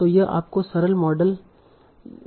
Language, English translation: Hindi, So this is your simple model